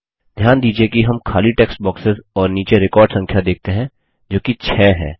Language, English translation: Hindi, Notice that we see empty text boxes and the record number at the bottom says 6